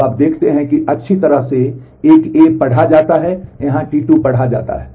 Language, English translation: Hindi, So, you see that well a is read by A is here read by T 2